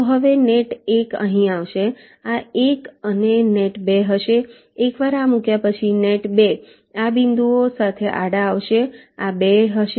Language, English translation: Gujarati, this will be one, and net two, once this is laid out, net two will be coming horizontally along this point